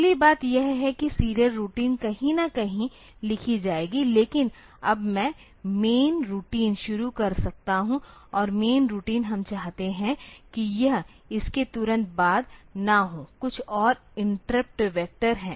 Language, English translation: Hindi, So, serial routine will write somewhere, but now I can start the main routine, and main routine I want that it should not be immediately after this, there are some more interrupt vectors